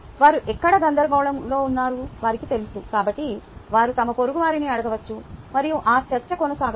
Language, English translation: Telugu, they know where they are confused, so they could ask their neighbors and that discussion can go on